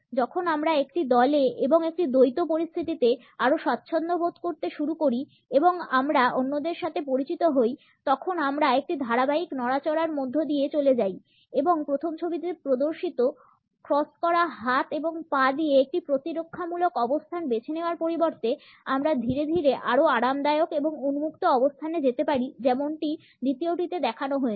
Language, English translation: Bengali, As we begin to feel more comfortable in a group or in a dyad and we get to know others, we move through a series of movements and then instead of opting for a defensive position with crossed arms and legs as a displayed in the first photograph, we can gradually move to a more relaxed and open position as is shown in the second one